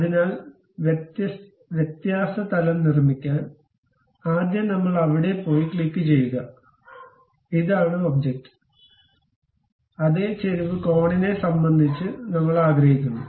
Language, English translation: Malayalam, So, to construct the difference plane, first we will go there click; this is the object and with respect to that some inclination angle we would like to have